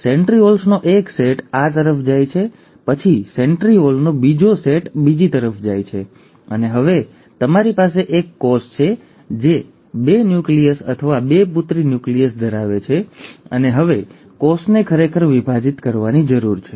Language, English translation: Gujarati, One set of centrioles go to one side, then the other set of centriole goes to the other side, and now you have a cell which has got two nuclei, or two daughter nuclei, and now the cell actually needs to divide